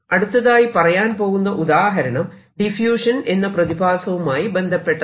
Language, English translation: Malayalam, another example of this i am going to take relates to diffusion